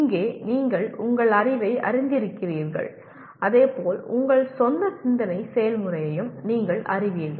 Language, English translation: Tamil, Here either you are aware of your knowledge as well as you are aware of your own thinking process